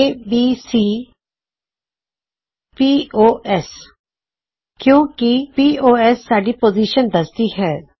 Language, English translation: Punjabi, ABC pos as pos represents our position